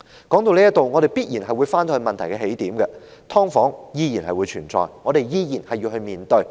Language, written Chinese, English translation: Cantonese, 說到這裏，必然會回到問題的起點，也就是"劏房"依然存在，我們依然要面對。, Having talked thus far we must come back to the starting point of this issue and that is subdivided units still exist and we still have to face them